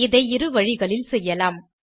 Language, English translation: Tamil, This can be done in 2 ways 1